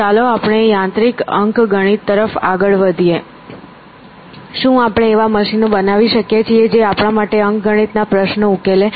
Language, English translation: Gujarati, Mechanical arithmetic; can we make machines which will do arithmetic for us